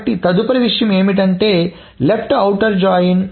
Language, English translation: Telugu, So the next thing comes is that left outer join